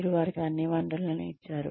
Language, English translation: Telugu, You have given them, all the resources